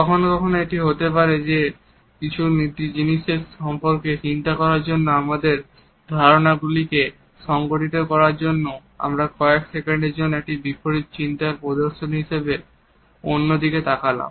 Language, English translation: Bengali, Sometimes it may be possible that in order to think about something or in order to organize our ideas we look away as in exhibition of an invert thought for a couple of seconds and this is perfectly all right